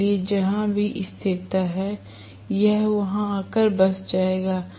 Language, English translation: Hindi, So, wherever, the stability is, it will come and settle there